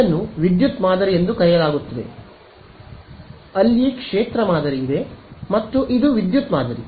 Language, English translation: Kannada, This is called the power pattern there is the field pattern and this is the power pattern